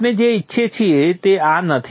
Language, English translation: Gujarati, This is not what we want